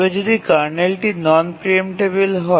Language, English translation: Bengali, , the kernel is non preemptible